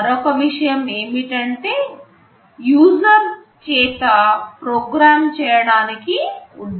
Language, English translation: Telugu, And another point is that, this is not meant to be programmed by the user